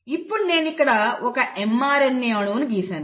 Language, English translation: Telugu, So what I have done here is I have drawn a mRNA molecule